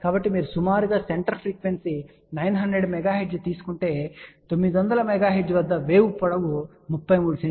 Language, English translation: Telugu, So, if you take a approximate the center frequency is 900 megahertz at 900 megahertz wave length is 33 centimeter